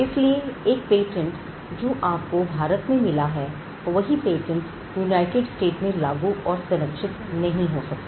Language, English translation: Hindi, So, you have a patent which is granted in India cannot be enforced or protected in the United States